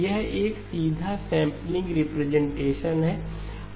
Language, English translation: Hindi, That is a straightforward sampling representation